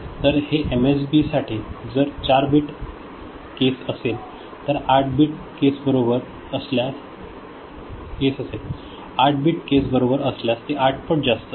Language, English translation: Marathi, So, for MSB, if it is a 4 bit case, it is 8 times more if it is 8 bit case right